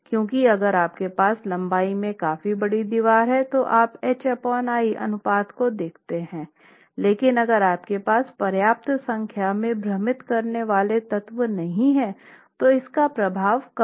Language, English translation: Hindi, Because if you have a significantly large wall in terms of its length, so if you look at a H by L ratio and if it is a very squat wall and you don't have sufficient number of confining elements, the effect of the interaction is going to be lesser